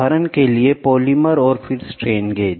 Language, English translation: Hindi, For example, polymer and then strain gauges